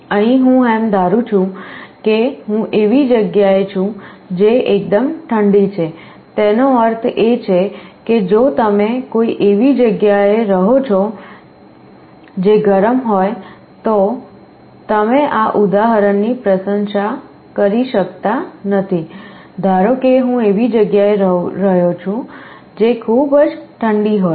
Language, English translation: Gujarati, Here I am assuming that I am in a place which is quite cold, it means if you are residing in a place which is hot you cannot appreciate this example, suppose I am staying in a place which is very cold